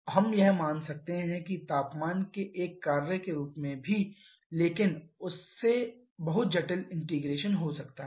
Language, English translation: Hindi, We could have considered that as a function of temperature as well but that would have led to a very complicated integration